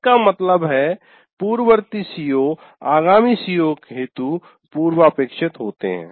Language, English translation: Hindi, That means the earlier CBOs are prerequisites to the later COs